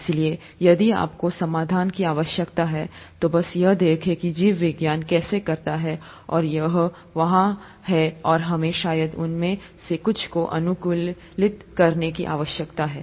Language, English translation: Hindi, So if you need solutions, just look at how biology does it, and it is there and we probably need to adapt to some of those